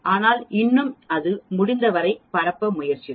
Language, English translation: Tamil, But still it will try to span as much of the areas possible